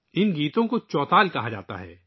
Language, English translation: Urdu, These songs are called Chautal